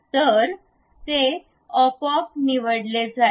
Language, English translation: Marathi, So, it is automatically selected